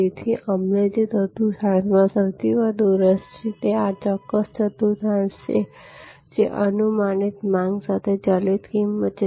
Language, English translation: Gujarati, So, the quadrant we are most interested in is this particular quadrant, which is variable price with predictable demand